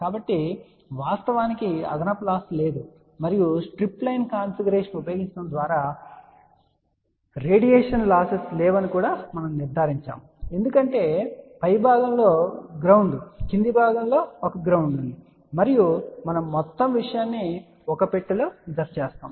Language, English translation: Telugu, So, there is actually speaking no additional loss and by using a strip line configuration we have also ensured that there are no radiation losses , because there is a ground at the bottom ground at the top and we also enclose the whole thing in a box ok